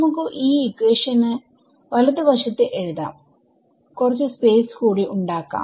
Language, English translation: Malayalam, So, lest actually write this equation on the right hand side make some space again